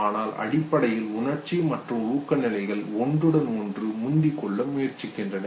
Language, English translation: Tamil, But basically emotional and motivational states he was trying to propose that the overlap